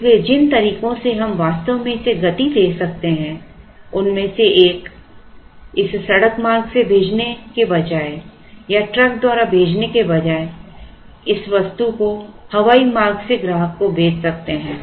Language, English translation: Hindi, So, one of the ways we can actually speed it up is by instead of sending it by road or by truck one could air lift the item and send it to the customer